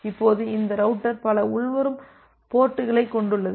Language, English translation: Tamil, Now this router has multiple incoming ports